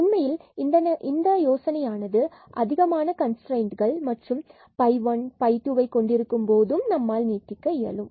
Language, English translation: Tamil, In fact, this idea can be extended for when we have many constraints like phi 1 phi 2 and so on